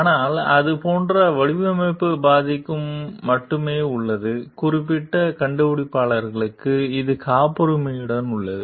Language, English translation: Tamil, But for the design part like it is only with the; for the particular inventor, it is with the patent